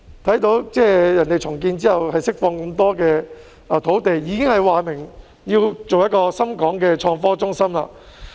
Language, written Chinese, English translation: Cantonese, 對方在重建後可以釋放很多土地，並已表明要建設一個深港創科中心。, Our counterpart is able to release a lot of land after the redevelopment and has indicated its wish to build a Shenzhen - Hong Kong innovation and technology hub